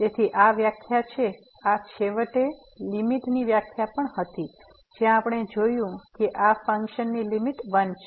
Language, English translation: Gujarati, So, this is the def this was eventually the definition of the limit as well, where we have seen that this function has a limit l